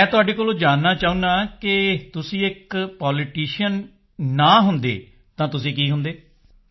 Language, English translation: Punjabi, I want to know from you;had you not been a politician, what would you have been